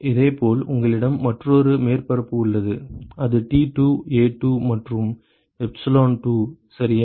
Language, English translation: Tamil, And similarly you have another surface which is T2 A2 and epsilon2 ok